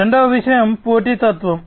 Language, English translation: Telugu, Second thing is competitiveness